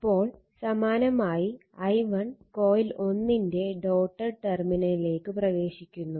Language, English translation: Malayalam, Now, similarly now that is I that is i1 enters the dotted terminal of coil 1